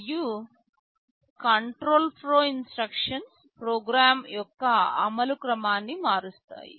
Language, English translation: Telugu, And, control flow instructions are those that will alter the sequence of execution of a program